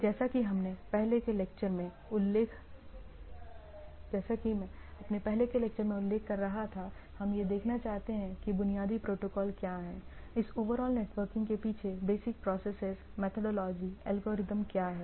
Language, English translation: Hindi, So, as I was mentioning in our earlier lecture earlier lecture, that we like to see that that what are the basic protocols, what are the basic processes, methodology, algorithms at the behind this overall networking right